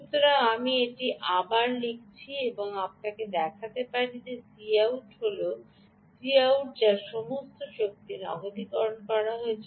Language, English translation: Bengali, so let me rewrite it and show you that it, this is the c out, and this c out actually is the one that is doing all the ah energy cashing